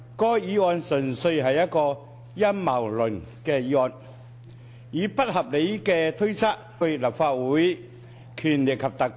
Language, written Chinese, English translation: Cantonese, 該項議案純粹是一項陰謀論的議案，以不合理的推測、懷疑為基礎，目的是攻擊特首。, The motion is based purely on a conspiracy theory and unreasonable guesses and suspicion . The aim is to attack the Chief Executive